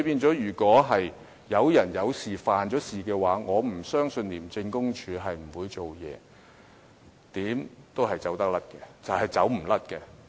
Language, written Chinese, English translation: Cantonese, 所以，如果有人犯了事，我不相信廉署不會採取行動，無論怎樣也是無法逃脫的。, Hence I do not believe that ICAC will not take action against anyone who has commit crimes . No one can escape the law